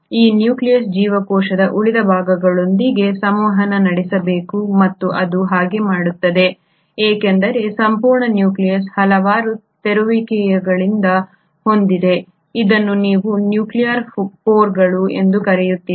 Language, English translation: Kannada, This nucleus has to communicate with the rest of the cell and it does so because the entire nucleus has numerous openings which is what you call as the nuclear pores